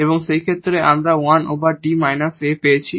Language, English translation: Bengali, So, which can be done like D square minus 1